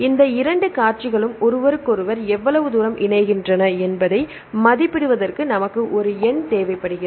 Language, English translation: Tamil, Then we need a numeric system to evaluate how far these two sequences align with each other